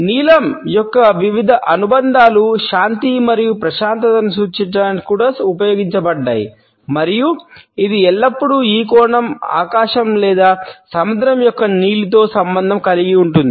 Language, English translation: Telugu, Different associations of blue have also been used to represent peace and tranquility and it is always associated with the blue of the sky or the sea in this sense